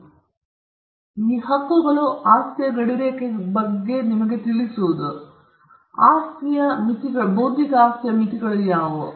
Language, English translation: Kannada, And these claims when you read will give you an understanding of what are the boundaries of the property, what are the limits of the property